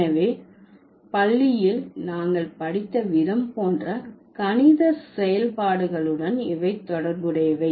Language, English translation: Tamil, So, these are related to the mathematical, like how we studied in school